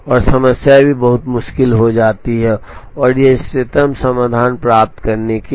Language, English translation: Hindi, And the problem also becomes very hard to try and get to the optimal solution